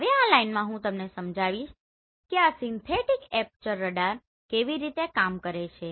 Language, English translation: Gujarati, Now in this line basically I want to explain you how this synthetic aperture radar works